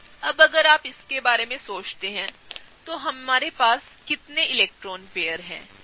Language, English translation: Hindi, Now, if you think about it, how many electron pairs have we attached